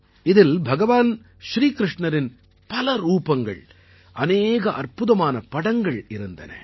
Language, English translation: Tamil, In this there were many forms and many magnificent pictures of Bhagwan Shri Krishna